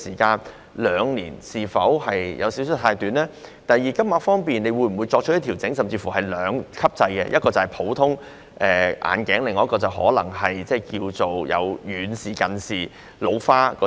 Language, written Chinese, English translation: Cantonese, 第二，當局會否在金額方面作出調整，例如實施兩級制，一級是普通眼鏡，另一級是遠視、近視或老花眼鏡？, Will the authorities consider further tightening the relevant requirement? . Secondly will the authorities adjust the amount by introducing a two - tier system with tier one being ordinary glasses and tier two myopia or presbyopia glasses?